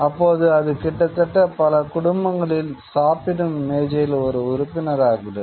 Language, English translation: Tamil, It almost becomes a member of the dining table in many families